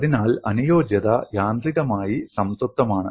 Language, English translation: Malayalam, So, compatibility is automatically satisfied